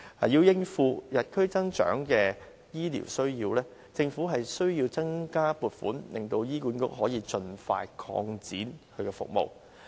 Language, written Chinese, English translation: Cantonese, 要應付與日俱增的醫療需要，政府必須增加撥款，令醫管局可以盡快擴展其服務。, In order to meet the growing healthcare needs the Government must increase funding to enable HA to expand its services expeditiously